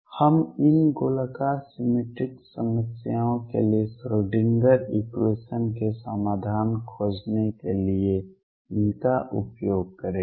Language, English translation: Hindi, We will use these to find the solutions of Schrodinger equation for these spherically symmetric problems